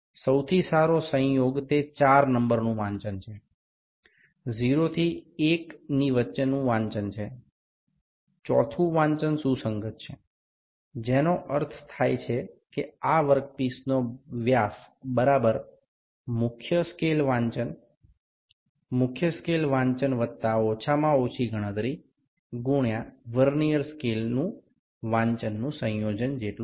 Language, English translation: Gujarati, The best coincidence here is the reading number 4; between 0 to 1, the 4th reading is coinciding, which means the dia of this work piece is equal to main scale reading, main scale reading plus least count into the coinciding Vernier scale reading